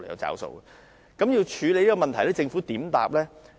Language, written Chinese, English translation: Cantonese, 在處理這問題上，政府的答覆為何？, In addressing this issue what was the Governments reply?